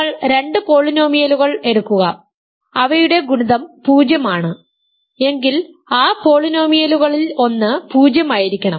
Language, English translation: Malayalam, You take two polynomials whose product is 0, one of the polynomials must be 0